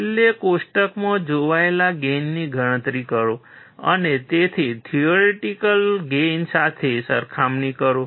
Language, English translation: Gujarati, Finally, calculate the gain observed in the table and compare it with the theoretical gain